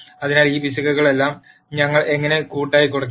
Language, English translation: Malayalam, So, how do we collectively minimize all of these errors